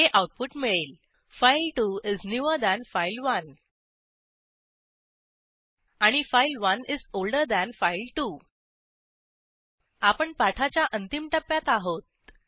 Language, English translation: Marathi, Now the output is displayed as: file2 is newer than file1 And file1 is older than file2 This brings us to the end of this tutorial